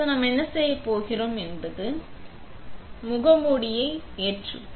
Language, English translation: Tamil, What we are going to do now is load the mask